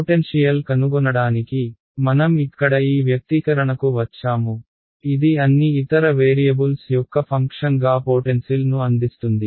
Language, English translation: Telugu, In order to find the potential, we have come to this expression over here which gives me the potential as a function of all the other variables